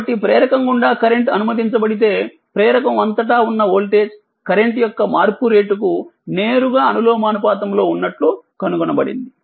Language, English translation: Telugu, So if the current is allowed to pass through an inductor it is found that the voltage across the inductor is directly proportional to the time rate of change of current